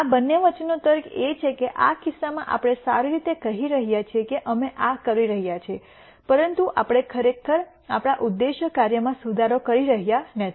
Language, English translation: Gujarati, The logic between these two are that in this case we are saying well we are doing this, but we are not really improving our objective function